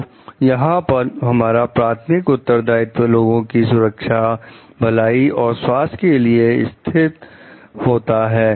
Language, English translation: Hindi, So, this is where our primary responsibility lies for the safety, welfare and health of the public at large